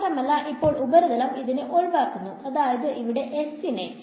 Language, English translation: Malayalam, And now the surface is excluding this that is the meaning of s over here ok